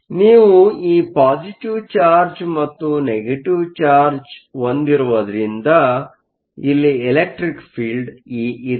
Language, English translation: Kannada, So because, you have this positive charge and negative charge, there is an electric field E